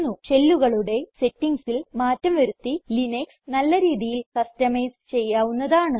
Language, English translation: Malayalam, Linux can be highly customized by changing the settings of the shell